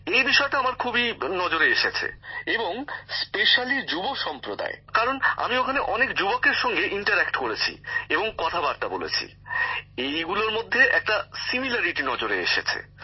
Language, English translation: Bengali, I noticed this a lot, and especially in the young generation, because I interacted with many youths there, so I saw a lot of similarity with what they want